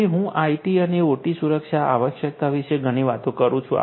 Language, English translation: Gujarati, So, I have been telling talking a lot about IT and OT security requirement